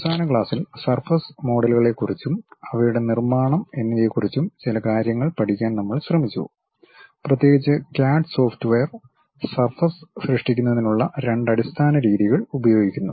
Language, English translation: Malayalam, In the last class, we try to have some idea about this surface models and their construction especially CAD software uses two basic methods of creation of surfaces